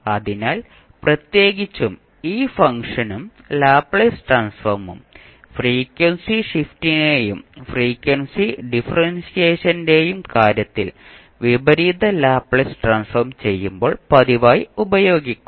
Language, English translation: Malayalam, So, particularly this function and this, the Laplace Transform, in case of frequency shift and frequency differentiation will be used most frequently when we will do the inverse Laplace transform